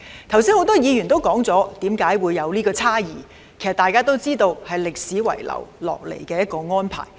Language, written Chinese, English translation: Cantonese, 剛才很多議員已提及出現有關差異的原因，大家都知道是歷史遺留下來的安排。, Many Members have just mentioned the reason for this disparity . We all know that this is an arrangement left over from history